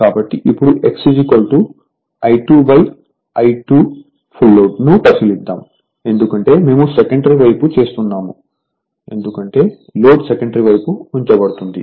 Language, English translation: Telugu, So, now let us say x is equal to I 2 upon I because, we are doing on the secondary side because reload is placed on the your secondary side right